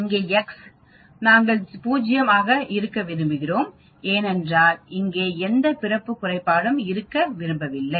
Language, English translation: Tamil, Here x we want to be 0 because we do not want to have any birth defect here